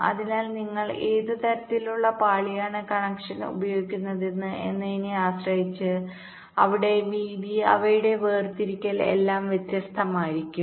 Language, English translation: Malayalam, so depending on which layer your using, the kind of connection there, width, their separation, everything will be different